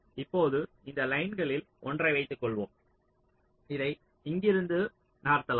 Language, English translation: Tamil, now suppose this one of this lines i can move it to here from here, like this